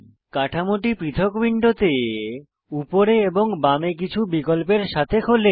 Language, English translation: Bengali, This opens the structure in a separate window with some controls on the top and on the left